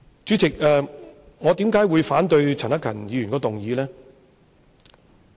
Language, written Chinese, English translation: Cantonese, 主席，我為甚麼反對陳克勤議員的議案？, I particularly demand myself to act in this way . President why do I oppose to Mr CHAN Hak - kans motion?